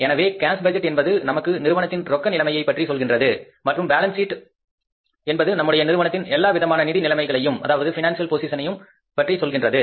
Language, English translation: Tamil, So, cash budget tells us about the cash position of the firm and the balance sheet tells about the overall financial position of the firm